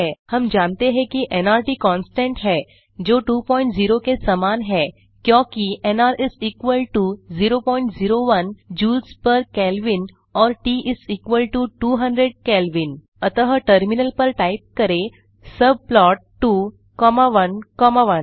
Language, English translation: Hindi, We know that nRT is a constant which is equal to 2.0 since nR = 0.01 Joules per Kelvin and T = 200 Kelvin So we can type on the terminal subplot 2 comma 1 comma 1